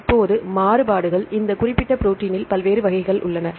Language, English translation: Tamil, Now the variants, there are various variants in this particular protein right